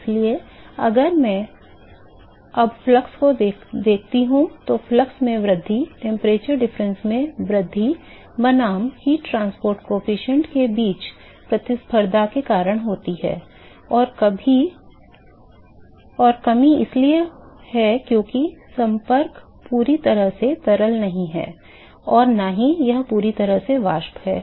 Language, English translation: Hindi, So, if I now look at the flux now the increase in the flux is because of competition between increase in the temperature difference versus decrease in the heat transport coefficient, and the decreases is because the contact is not completely fluid it is not completely vapor